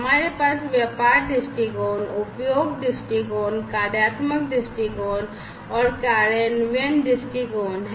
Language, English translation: Hindi, So, we have the business viewpoint, usage viewpoint, functional viewpoint and the implementation viewpoint